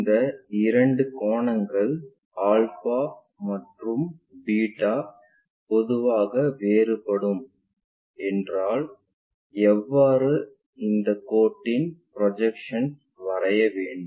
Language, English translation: Tamil, These two angles the beta or theta, these two angles may be different in general, if that is the case how to draw the projections of this line